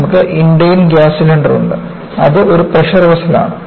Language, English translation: Malayalam, You have the Indane gas cylinder, it is a pressure vessel